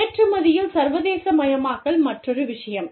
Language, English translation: Tamil, Then, internationalization through export, is another one